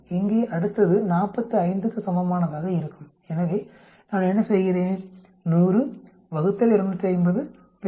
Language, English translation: Tamil, The next one here will be for an equivalent 45 so what do I do, 100 divided by 250 multiplied by 90